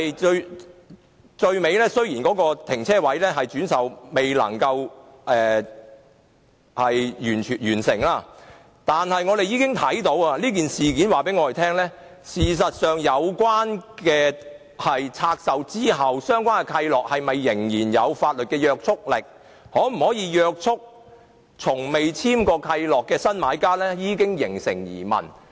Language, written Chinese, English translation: Cantonese, 到最後，雖然有關車位未能完成轉售，但我們已從事件中看出，其實相關契諾在拆售後是否仍有法律約束力，以及可否約束從未簽訂契諾的新買家，已形成疑問。, Eventually while the resale of the parking spaces was not completed we can see from the incident that questions have been raised as to whether the relevant covenant is still legally binding after divestment and whether it is binding on the new buyer who has never entered into any covenant